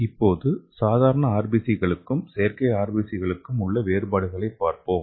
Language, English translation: Tamil, So let us see the difference between the normal RBC as well as artificial RBC